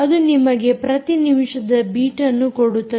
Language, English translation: Kannada, ah, you will get the beats per minute